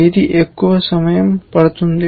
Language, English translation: Telugu, which one will take the most amount of time